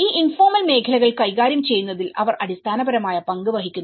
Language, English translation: Malayalam, They play a fundamental role in handling these informal sectors